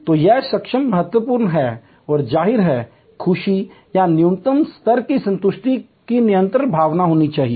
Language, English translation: Hindi, So, this competency build up is important and; obviously, there has to be a continuing sense of happiness or minimum level of satisfaction